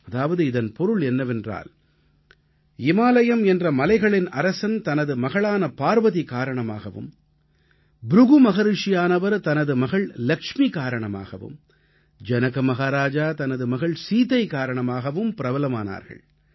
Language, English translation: Tamil, Which means, Himwant, Lord Mount attained fame on account of daughter Parvati, Rishi Brighu on account of his daughter Lakshmi and King Janak because of daughter Sita